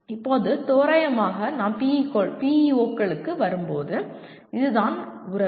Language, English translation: Tamil, Now, roughly this is the once we come to the PEOs, this is the relationship